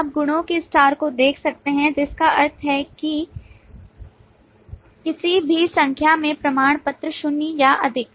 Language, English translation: Hindi, You can see the multiplicities star, which means any number of certificates, zero or more